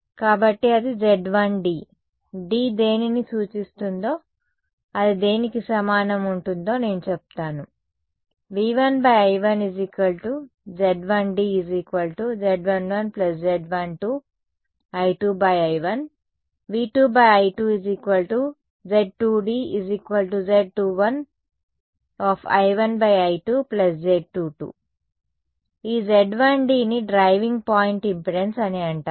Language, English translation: Telugu, So, that is going to be Z 1 d, I will tell you what d stands for and that is going to be equal to Z 1 1 plus Z 1 2 I 2 by I 1 and this Z 1 d is called the driving point impedance